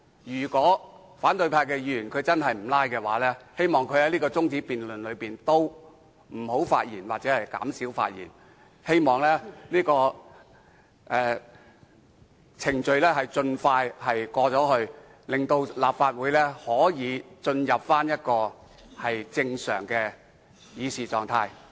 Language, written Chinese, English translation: Cantonese, 如果反對派議員真的不"拉布"，就請他們別就這項辯論中止待續議案發言或減少發言，讓這個程序能盡快完成，令立法會可以進入正常的議事狀態。, If Members from the opposition camp are not filibustering will they please stop speaking on this adjournment motion or they should speak less so as to allow the relevant proceeding to come to a close as soon as possible and this Council to return to normal for the discussion of official business